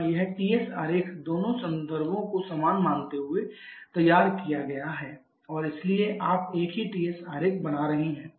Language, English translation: Hindi, Here this TS diagram has been drawn assuming both the reference to be same and their so you are having the same TS diagram